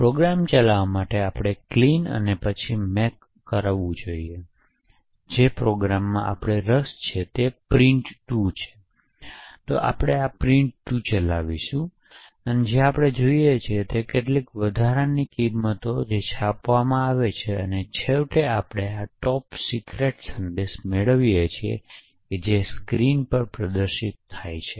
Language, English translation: Gujarati, So to run the program we should do a make clean and then make and the program we are interested in is print2, so we will run print2 and what we see is some extra additional values that gets printed and finally we get this is a top secret message that gets displayed on to the screen